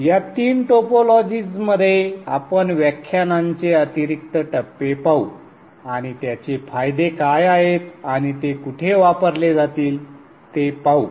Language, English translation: Marathi, These three topologies we will look at the initial stages of the lectures and see what are their advantages and where they will be used